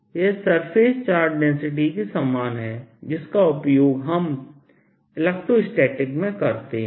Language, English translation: Hindi, this is similar to the charge density and surface charge density that we use in electrostatics